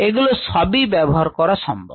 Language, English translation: Bengali, that can also be used